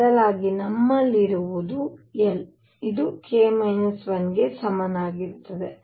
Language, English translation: Kannada, Instead what we have is l which is equal to k minus 1